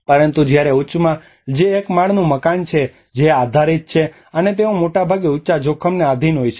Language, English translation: Gujarati, But whereas in the high, which is a one storey house which is based on and they are subjected mostly to the high risk